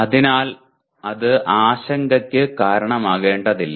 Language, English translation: Malayalam, That need not be reason for worry